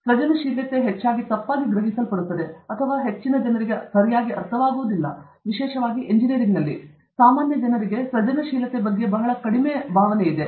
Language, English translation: Kannada, Creativity is often misunderstood or not understood properly; particularly, in engineering, generally people have a feeling that creativity is very less